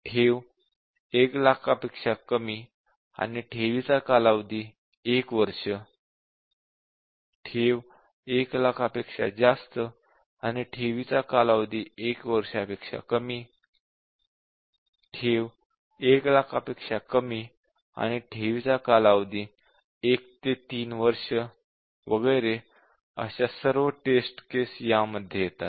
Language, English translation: Marathi, So, principal is less than 1 lakh deposit is for 1 year, principal greater than 1 lakh and deposit is for less than 1 year, principal less than 1 lakh and deposit is between 1 to 3 year and so on